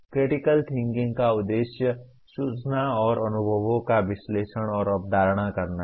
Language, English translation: Hindi, The critical thinking aims at analyzing and conceptualizing information and experiences